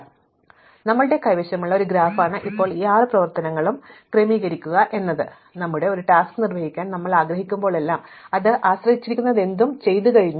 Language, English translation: Malayalam, So, this is a graph that we have and now our goal is to sequence these six operations, in such a way that whenever we want to perform a task, whatever it depends on has already been done